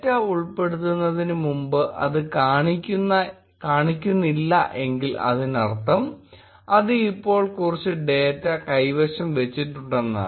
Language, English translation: Malayalam, Recall that before data insertion, it was not showing up which means that it now holds some data